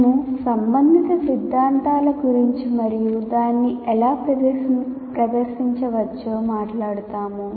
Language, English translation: Telugu, We'll talk about the related theory and how it can be presented